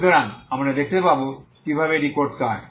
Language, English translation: Bengali, So you will see how we do this